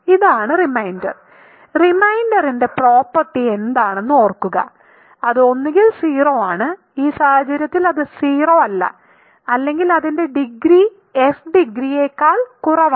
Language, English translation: Malayalam, So, this is the reminder and remember what is the property of the reminder it is either 0 in this case it is not 0 or its degree strictly less than degree of f